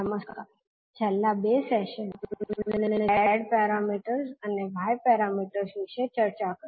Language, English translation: Gujarati, Namaskar, in last two sessions we discussed about the z parameters and y parameters